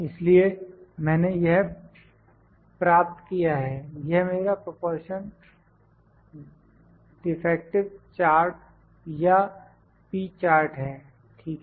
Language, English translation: Hindi, So, I have got this; this is my proportion defective chart or P chart, ok